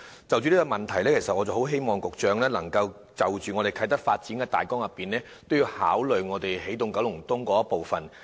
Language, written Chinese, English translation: Cantonese, 就這個問題，希望局長能就啟德的發展大綱，一併考慮起動九龍東的部分。, In this connection I hope the Secretary would consider the initiatives of energizing Kowloon East in parallel with the planning for Kai Tak Development